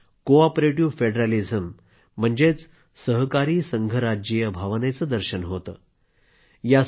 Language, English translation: Marathi, It symbolises the spirit of cooperative federalism